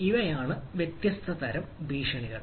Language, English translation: Malayalam, but these are the possible threats